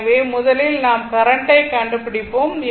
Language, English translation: Tamil, So, first you find out what is the current, right